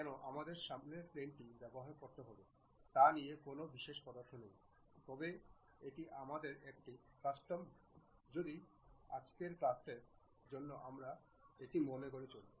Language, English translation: Bengali, There is no particular preference why front plane we have to use ah, but this is a custom what we are following for today's class